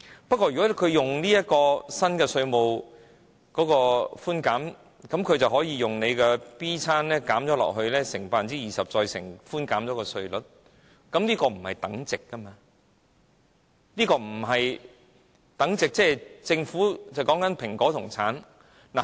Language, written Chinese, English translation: Cantonese, 不過，如果他們使用新稅務寬減，便可以用 B 餐減，乘以 20%， 再乘以寬減的稅率，但這不是等值，就如政府在說蘋果和橙一樣。, That said by opting for the new tax concession regime companies will have access to the 20 % tax base concession as well as a generous tax rate . But the two systems are not equivalent . The Government looks like drawing comparison between an apple and an orange